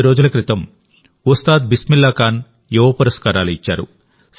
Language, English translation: Telugu, A few days ago, 'Ustad Bismillah Khan Yuva Puraskar' were conferred